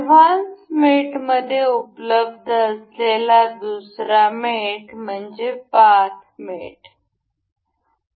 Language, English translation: Marathi, The other mate available in the advanced mate is path mate